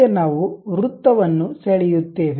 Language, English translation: Kannada, Now, we draw a circle